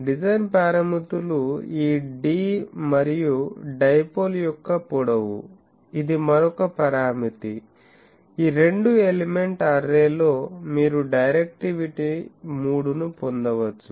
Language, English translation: Telugu, Design parameters are this d and also the length of the dipole; that is also another parameter, with that in a these two element array you can get a directivity of 3 can be achieved